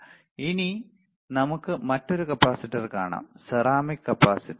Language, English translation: Malayalam, Now, let us see another capacitor, ceramic capacitor